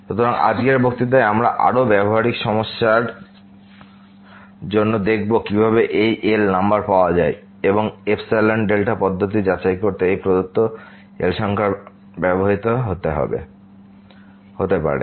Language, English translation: Bengali, So, in today’s lecture we will look for more practical issues that how to get this number and the epsilon delta approach may be used to verify that this given number is